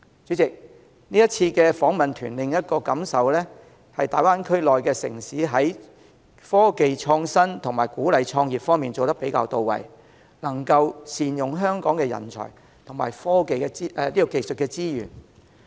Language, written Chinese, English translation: Cantonese, 主席，這次訪問團的另一感受是，大灣區內的城市在科技創新及鼓勵創業方面做得比較"到位"，能夠善用香港的人才及技術資源。, President another thought that I have after the duty visit is that the cites in the Greater Bay Area have done a better job in innovation and technology IT and in encouraging entrepreneurship by making good use of the talents and technology resources in Hong Kong